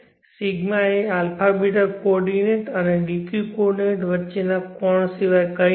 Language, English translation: Gujarati, is nothing but the angle between the a beeta coordinate and the dq coordinate